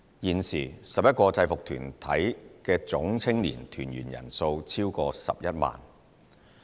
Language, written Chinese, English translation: Cantonese, 現時 ，11 個制服團體的總青年團員人數超過11萬人。, The total number of members in the 11 UGs has now exceeded 110 000